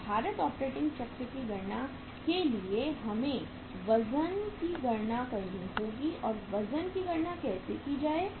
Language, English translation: Hindi, So for calculating the weighted operating cycle we will have to calculate the weights so how to calculate the weights